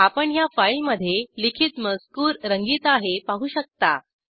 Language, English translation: Marathi, You can see that the text written in this file is colored